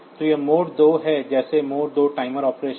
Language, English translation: Hindi, So, it is an mode 2 just like mode 2 timer operation